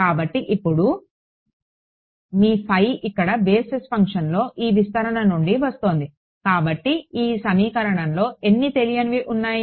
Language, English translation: Telugu, So, now, your phi over here is coming from this expansion in the basis function so, how many unknowns in this equation